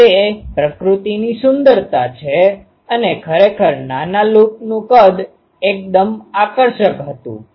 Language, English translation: Gujarati, So, that is the beauty of nature ah and actually the size of a small loop was quite attractive